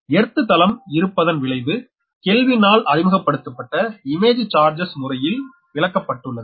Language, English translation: Tamil, so the effect of presence of earth can be your, accounted for the method of image charges introduced by kelvin, right